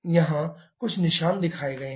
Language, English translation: Hindi, Here some marks are shown